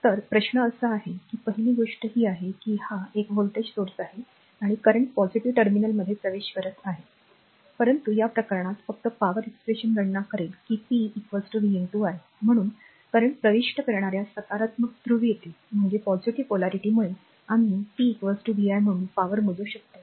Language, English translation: Marathi, So, question is that that first thing is that this is a voltage source and current entering into the positive terminal right current entering into the positive terminal, but in this case just power expression will calculate that p is equal to you know that v into i therefore, current enter the positive polarity hence we can compute power as p is equal to vi